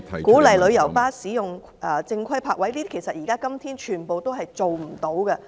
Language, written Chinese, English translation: Cantonese, 鼓勵旅遊巴士使用正規泊位，這些今天全部也做不到。, and encouraging tour coaches to use proper parking spaces but none of these is accomplished today